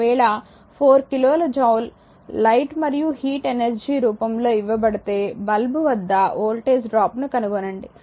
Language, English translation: Telugu, If 4 kilo joule is given off in the form of light and heat energy determine the voltage drop across the lamp